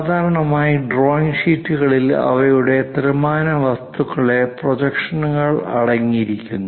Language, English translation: Malayalam, Typically drawing sheets contain the three dimensional objects on their projections